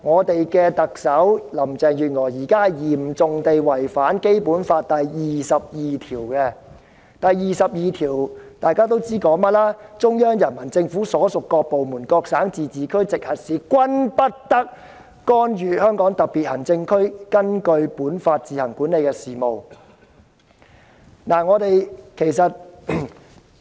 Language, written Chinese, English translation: Cantonese, 特首林鄭月娥現時嚴重違反《基本法》第二十二條，因該條文訂明："中央人民政府所屬各部門、各省、自治區、直轄市均不得干預香港特別行政區根據本法自行管理的事務。, Now Chief Executive Carrie LAM has seriously violated Article 22 of the Basic Law because this provision stipulates No department of the Central Peoples Government and no province autonomous region or municipality directly under the Central Government may interfere in the affairs which the Hong Kong Special Administrative Region administers on its own in accordance with this Law